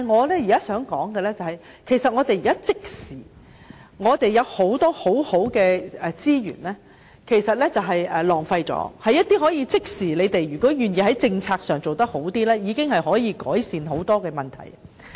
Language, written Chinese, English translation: Cantonese, 但是，我現在想說的是，我們有很多很好的資源都被浪費了，如果政府願意在政策上做好一點，其實已經能夠即時改善很多問題。, However now I wish to say that a lot of our good resources have been wasted . If the Government is willing to do better in terms of policy many problems can instantly be ameliorated